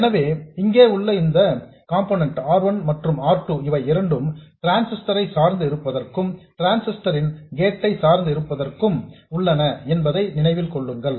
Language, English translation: Tamil, So, this component here, remember this R1 and R2, these are there for biasing the transistor, biasing the gate of the transistor